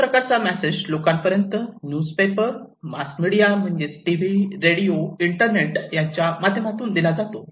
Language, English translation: Marathi, And, this message was given to the people through newspaper, through mass media like TV, radio, internet